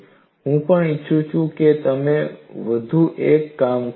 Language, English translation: Gujarati, And I also want you to do one more thing here